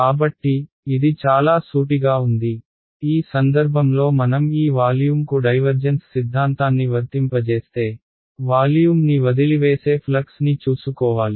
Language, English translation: Telugu, So, this was very straight forward, in this case if I applied divergence theorem to this volume I should take care of the flux that is leaving the volume right